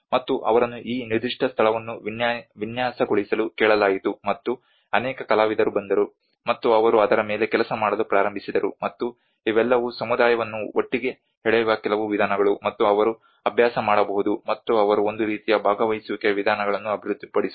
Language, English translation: Kannada, And they asked to design this particular place, and many artists came, and they started working on that, and these are all some exercises where to pull the community together, and they can practice, and they can develop a kind of participatory approaches